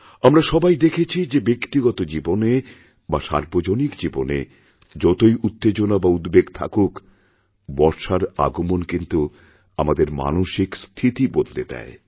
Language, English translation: Bengali, One has seen that no matter how hectic the life is, no matter how tense we are, whether its one's personal or public life, the arrival of the rains does lift one's spirits